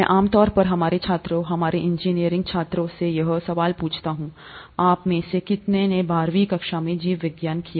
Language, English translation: Hindi, I usually ask this question to our students, our engineering students, “How many of you have done biology in twelfth standard